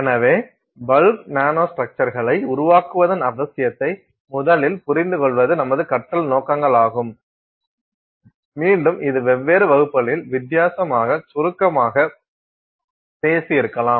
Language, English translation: Tamil, So, our learning objectives are first to understand the need to create bulk nanostructures, again this is something maybe touched upon briefly at a different in different classes